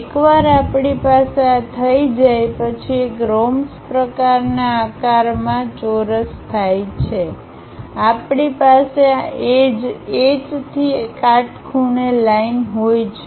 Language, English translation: Gujarati, Once we have this, square into a rhombus kind of shape we have this edge from H drop a perpendicular line